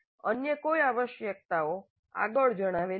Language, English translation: Gujarati, No other requirements are stated upfront